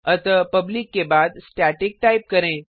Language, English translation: Hindi, So after public type static